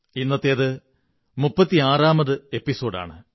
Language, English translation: Malayalam, This is the 36th episode today